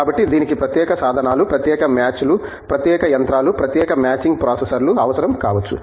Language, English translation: Telugu, So, that requires that may require special tools, special fixtures, special machines, special machining processors and so on